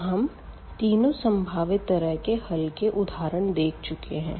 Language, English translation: Hindi, So, we have see in these 3 possibilities of the solution